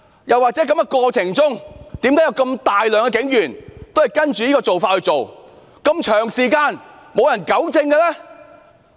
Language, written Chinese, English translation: Cantonese, 又為何有如此大量警員不按警例行事，而長時間竟沒有人糾正？, How come there were so many police officers violating the police rules and no one has rectified this problem so far?